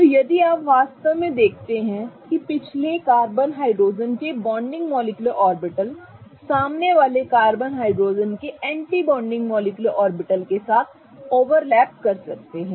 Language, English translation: Hindi, So, if you really see an overlap can happen between the bonding molecular orbital of the back carbon hydrogen bond with the anti bonding molecular orbital of the front carbon hydrogen bond